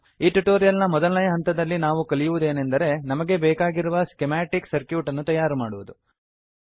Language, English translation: Kannada, In this tutorial we will learn first step, that is, Creating a schematic for the desired circuit